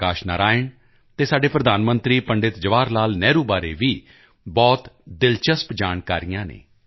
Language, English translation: Punjabi, Ambedkar, Jai Prakash Narayan and our Prime Minister Pandit Jawaharlal Nehru